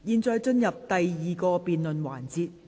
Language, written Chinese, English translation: Cantonese, 現在進入第二個辯論環節。, We now proceed to the second debate session